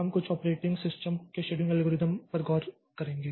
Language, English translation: Hindi, We will be looking into the scheduling algorithms of some operating systems